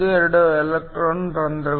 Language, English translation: Kannada, 12 electron holes